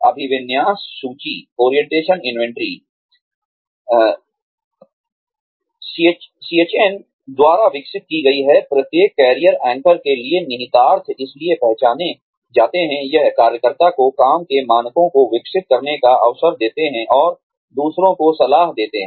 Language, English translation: Hindi, Orientation inventory, developed by Schien, the implications for each career anchor, so identified, are one, it gives the worker, an opportunity to develop work standards, and to mentor others